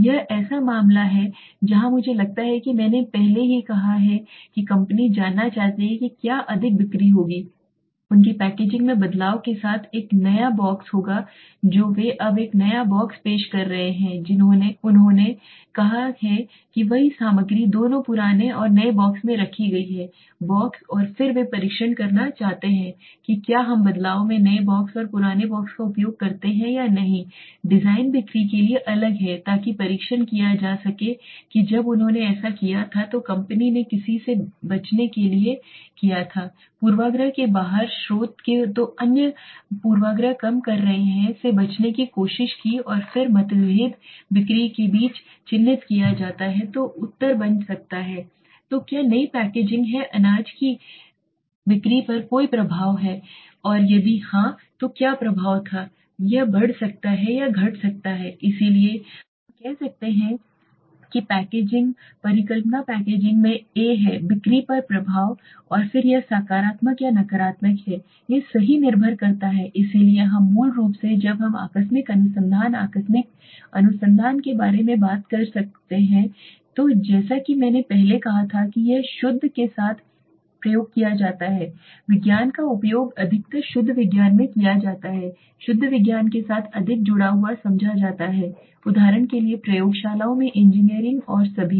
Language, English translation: Hindi, This is the case where I think I have already said the company wants to know if more sales would happen with the change in their packaging a new box they are introducing a new box now what they have done is the same time of the content is kept in both the boxes the old and the new box and then they want to test if whether we use the new box and the old box in the change in design is the sales being different so to test that when they did it the company took to avoid any outside source of bias so other bias are reduced are tried to avoid and then the differences between the sales is marked so the answer could becoming then is did the new packaging have any effect on the cereal sales and if yes what was the effect it could increase or it could decrease so we can say packaging also tomorrow we can say that the hypothesis packaging does have a effect on the sales and then it is a positive or negative it depends right so we basically when we are talking about casual research casual research as I earlier said that it is used with the pure science is used in mostly in the pure science is understood more connected with the pure science for example engineering in labs and all